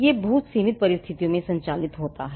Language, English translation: Hindi, This operates in very limited circumstances